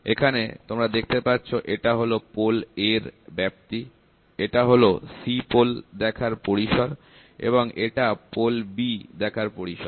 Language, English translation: Bengali, So, you can see this is a range of pole A, this is the range viewing range of pole C, this is the viewing range this is the viewing range for pole B